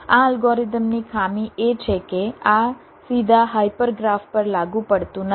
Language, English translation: Gujarati, the drawback of this algorithm is that this is not applicable to hyper graph directly